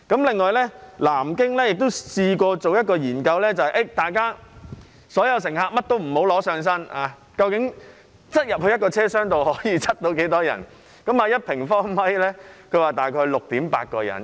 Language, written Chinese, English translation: Cantonese, 此外，南京亦做過一項研究，就是假設所有乘客不攜帶任何物品，一個車廂可以擠進多少人，結果是1平方米可站大約 6.8 人。, A study conducted in Nanjing has researched on the number of people that can be packed in a carriage but it assumes that all passengers do not carry any large items